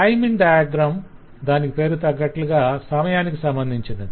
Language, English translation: Telugu, timing diagram, as the name suggest, is closely related to the timing